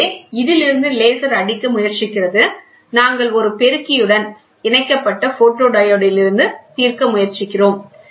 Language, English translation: Tamil, So, the laser hits from this we try to resolve from the photodiode we connected to an amplifier